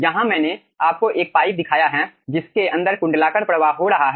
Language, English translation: Hindi, here i have shown you a pipe, aah, inside which annular flow is occurring